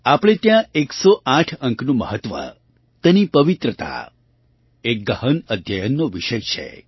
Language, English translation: Gujarati, For us the importance of the number 108 and its sanctity is a subject of deep study